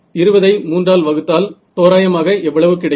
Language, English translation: Tamil, So, how much is that 20 by 3 roughly